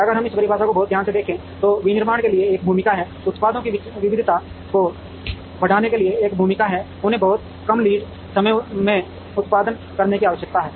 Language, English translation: Hindi, If we look at this definition very carefully, there is a role for manufacturing, there is a role to increase the variety of products, there is a need to produce them in very short lead times